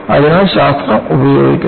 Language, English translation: Malayalam, So, science is used